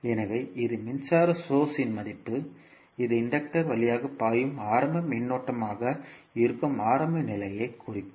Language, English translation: Tamil, So, this will the value of a current source that will represent the initial condition that is initial current flowing through the inductor